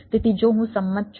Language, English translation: Gujarati, so, if i have agreed